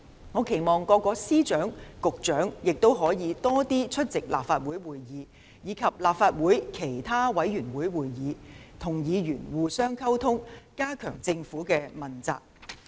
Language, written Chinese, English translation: Cantonese, 我期望各位司長和局長亦可以多出席立法會會議，以及立法會其他委員會會議，與議員互相溝通，加強政府的問責。, I hope that Secretaries of Departments and Directors of Bureaux can also attend more Legislative Council meetings and other committee meetings of the Legislative Council to communicate with Members and enhance the Governments accountability